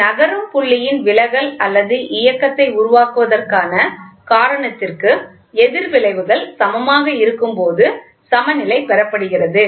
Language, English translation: Tamil, The balance is obtained when the opposite effects are equal to the cause of producing the deflection or movement of a moving point